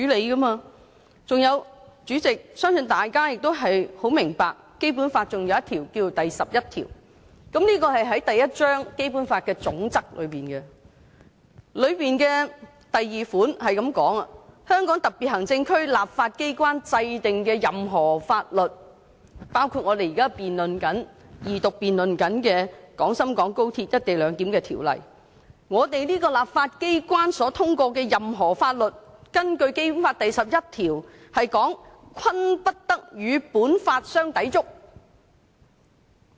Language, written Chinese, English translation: Cantonese, 代理主席，我相信大家也很明白《基本法》還有第十一條，這是在《基本法》第一章的總則內，該條第二款是這樣寫的："香港特別行政區立法機關制定的任何法律"——我們這個立法機關所通過的任何法律，包括我們現正進行二讀辯論的《條例草案》，根據《基本法》第十一條——"均不得同本法相抵觸。, Deputy President I believe Members are also well aware of the existence of Article 11 of the Basic Law . It comes under the General Principles in Chapter I of the Basic Law . The second paragraph of the Article reads No law enacted by the legislature of the Hong Kong Special Administrative Region―according to Article 11 of the Basic Law any law passed by this legislature including the Bill on which Second Reading debate is now being conducted―shall contravene this Law